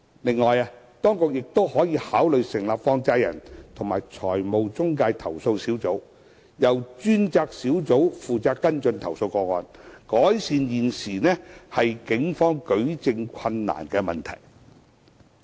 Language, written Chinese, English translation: Cantonese, 另外，當局亦可考慮成立放債人及財務中介投訴小組，由專責小組負責跟進投訴個案，改善現時警方舉證困難的問題。, Moreover the authorities can consider setting up a group for handling complaints against money lenders and financial intermediaries and making this dedicated group responsible for following up the complaints to mitigate the problem of the Police facing difficulties in adducing evidence